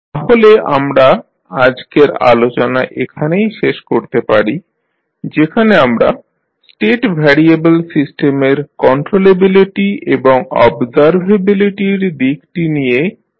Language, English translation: Bengali, So, with this we can close our today’s discussion in which we discuss about the controllability and observability aspect of the State variable system